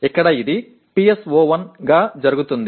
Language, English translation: Telugu, Here it happens to be PSO1